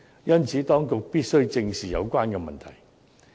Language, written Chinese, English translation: Cantonese, 因此，當局必須正視有關問題。, For this reason the authorities must address the problem squarely